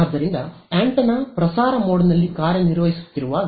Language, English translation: Kannada, So, when the antenna is operating in transmitting mode right